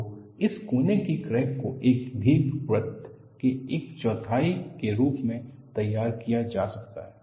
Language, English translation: Hindi, So, this corner crack would be modeled as quarter of an ellipse